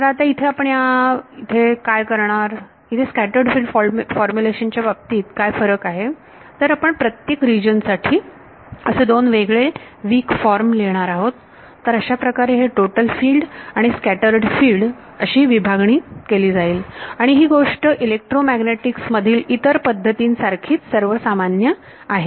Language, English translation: Marathi, So, what we will do, what is different now in the case of the scattered field formulation is we will write two different weak forms, one for each region, that is how we will break it up and by the way this total field and scattered field formulation, this is even common to other methods in the electromagnetics